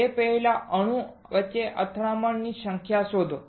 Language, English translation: Gujarati, Find it out number of collision between atoms right before